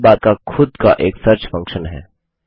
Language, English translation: Hindi, The Sidebar even has a search function of its own